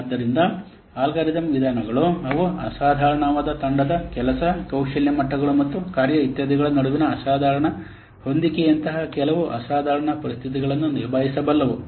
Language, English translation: Kannada, So, algorithm methods, they can deal with some exceptional conditions such as exceptional team war, exceptional match between skip levels and tax etc